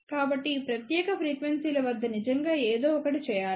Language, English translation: Telugu, So, one should really do something at this particular frequencies